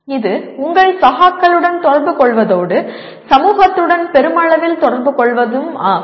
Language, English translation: Tamil, That is communicating with your peers and communicating with society at large